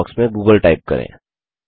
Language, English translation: Hindi, In the search box type google